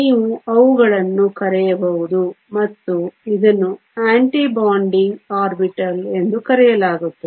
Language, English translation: Kannada, You can subtract them and this is called the Anti bonding orbital